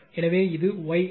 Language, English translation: Tamil, So, this is the Y